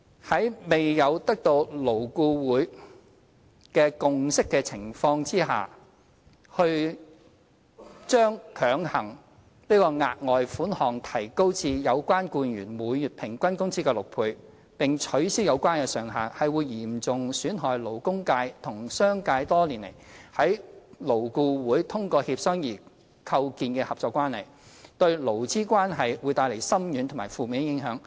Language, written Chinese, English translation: Cantonese, 在未有得到勞顧會共識的情況下，強行把額外款項提高至有關僱員每月平均工資的6倍，並取消有關上限，會嚴重損害勞工界和商界多年來在勞顧會通過協商而構建的合作關係，對勞資關係會帶來深遠及負面的影響。, Without obtaining the consensus of LAB pressing an increase of the further sum to six times the average monthly wages of the employee and removing the relevant ceiling will seriously jeopardize the cooperative relationship between the labour sector and the business sector fostered through negotiations in LAB over the years and bring far - reaching negative impact on the labour relationship